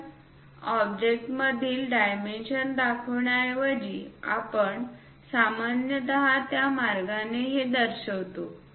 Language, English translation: Marathi, So, instead of showing within the dimensions within the object we usually show it in that way